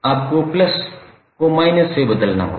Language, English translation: Hindi, So it will become minus 100